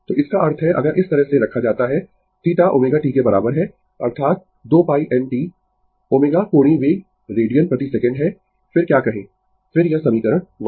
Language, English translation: Hindi, So, that means, if you put like this, your theta is equal to omega t that is 2 pi n t omega is angular velocity radian per second, then your what you call, then this equation that